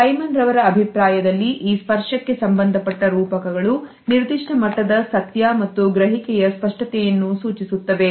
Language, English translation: Kannada, In the opinion of Simon Bronner, these tactual metaphors suggest is certain level of truth and a clarity of perception